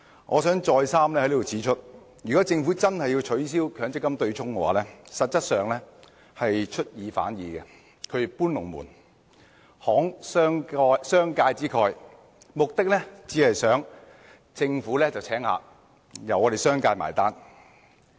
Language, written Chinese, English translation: Cantonese, 我想在此再三指出，如果政府真的要取消強積金對沖機制，實質上是出爾反爾、"搬龍門"、"慷商界之慨"，目的只是想政府"請客"，由商界"埋單"。, Here I wish to point out once again that if the Government really intends to abolish the MPF offsetting mechanism it is actually going back on its words moving the goalposts and generously giving away a gift at the expense of the business sector . The purpose is merely to allow the Government to hold a banquet while making the business sector foot the bill